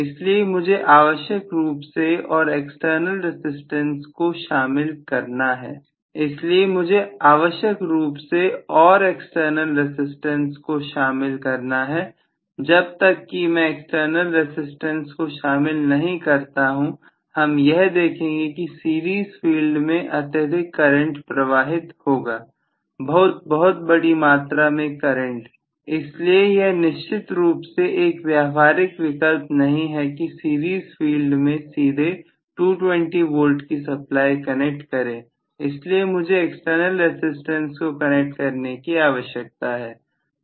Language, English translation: Hindi, So, I have to include necessarily and external resistance, unless I include and external resistance, I am going to see that the series field is going to draw enormously large current, very very large current, so it is definitely not a viable option to connect 220 volts supply directly across the series field, so I necessarily need to connect an external resistance